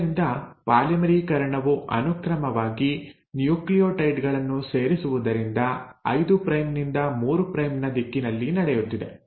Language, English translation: Kannada, So the polymerisation, adding in of successive nucleotides is happening in a 5 prime to 3 prime direction